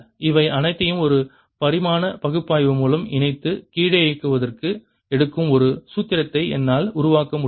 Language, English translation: Tamil, combining all this through a dimensional analysis i can create a formula for time that it will take to come down